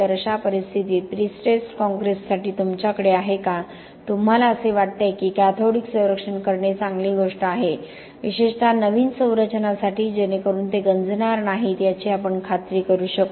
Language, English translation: Marathi, So in such cases, for pre stressed concrete, do you have, do you think that cathodic protection will be a good thing to do, especially for new structures so that we can ensure that they do not corrode